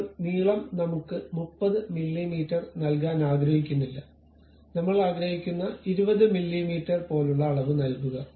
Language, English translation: Malayalam, Then length I do not want to give 30 mm, but something like 20 mm I would like to give